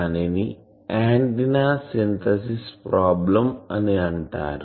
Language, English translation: Telugu, That is called antenna synthesis problem